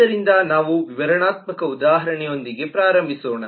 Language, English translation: Kannada, so let us start with illustrative example